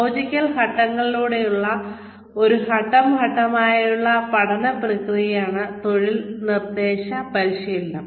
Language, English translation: Malayalam, Job instruction training, is a step by step learning process, through a logical sequence of steps